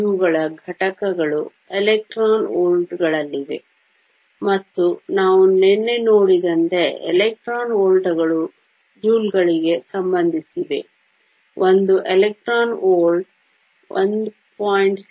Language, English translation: Kannada, The units for these are in electron volts; and as we saw yesterday electron volts is related to joules; one electron volt is nothing but 1